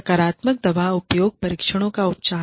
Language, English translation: Hindi, Treatment of positive drug use tests